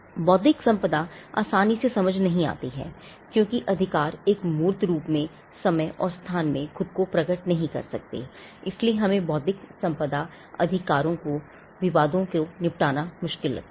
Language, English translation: Hindi, Intellectual property because it is not readily discernible, because the rights do not manifest itself in time and space in a tangible on a tangible form, we find it difficult to settle disputes on intellectual property rights